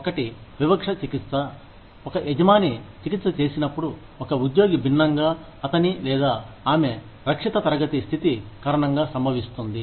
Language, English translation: Telugu, One is Disparate treatment, which occurs, when an employer treats, an employee differently, because of his or her, protected class status